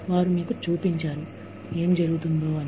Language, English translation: Telugu, They showed you, what was going on